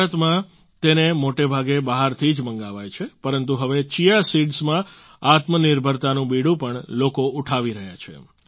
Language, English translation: Gujarati, In India, it is mostly sourced from abroad but now people are taking up the challenge to be selfreliant in Chia seeds too